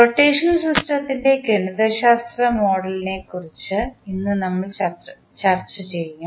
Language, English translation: Malayalam, Today we will discuss about the mathematical modelling of rotational system